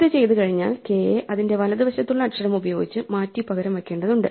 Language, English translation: Malayalam, Having done this we now need to replace k by the letter to its right which is next bigger